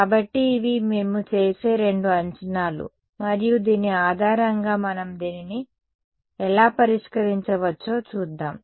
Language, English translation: Telugu, So, these are the two assumptions that we will make and based on this we will see how can we solve this right